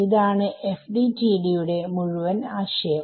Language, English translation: Malayalam, That is the whole point of FDTD